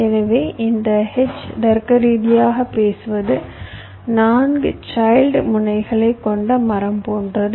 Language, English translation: Tamil, so this h, logically speaking, is like a tree with four child nodes